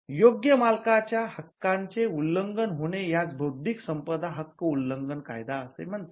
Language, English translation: Marathi, A violation of a right of right owner is what is called an intellectual property law as infringement